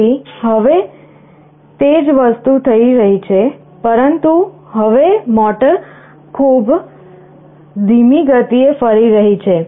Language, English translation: Gujarati, So now, see the same thing is happening, but now the motor is rotating at a much slower speed